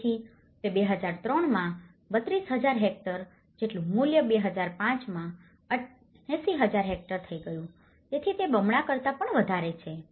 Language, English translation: Gujarati, So, that is worth from 32,000 hectares in 2003 has become 80,000 hectares in 2005, so it has more than double